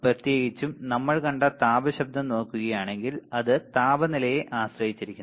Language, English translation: Malayalam, Only the thermal noise in particular we have seen that depends on the temperature right, it depends on the temperature